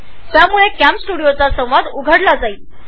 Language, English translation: Marathi, This will open the CamStudio dialog box